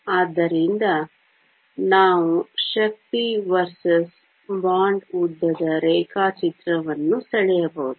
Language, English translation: Kannada, So, we can draw the energy versus bond length diagram